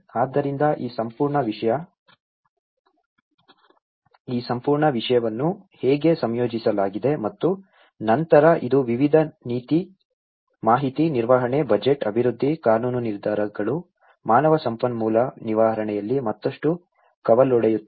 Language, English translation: Kannada, So, this is how this whole thing was coordinated and then it is further branched out in various policy, information management, budget, development, legal decisions, HR management